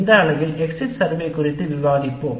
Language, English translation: Tamil, In this unit we will discuss the course exit survey